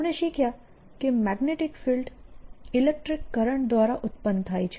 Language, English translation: Gujarati, we have learnt that one magnetic field is produced by electric currents